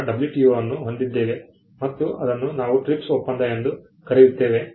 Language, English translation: Kannada, Then we had the WTO and what we call the TRIPS agreement